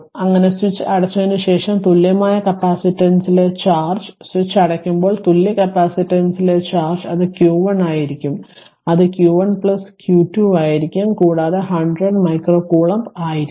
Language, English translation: Malayalam, The after thus after the switch closes the charge on the equivalent capacitance is, when switch is closed the charge on the equivalent capacitance is it will be q 1 it will be q 1 plus q 2 that is also 100 micro coulomb right